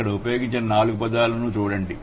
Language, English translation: Telugu, So, look at the four words which have been used here